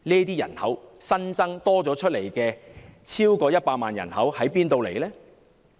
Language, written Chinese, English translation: Cantonese, 這批新增超過100萬的人口從何而來？, Where does the 1 million or so population come from?